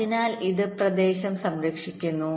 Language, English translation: Malayalam, right, so this saves the area